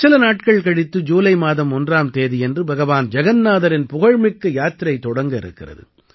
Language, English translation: Tamil, In just a few days from now on the 1st of July, the famous journey of Lord Jagannath is going to commence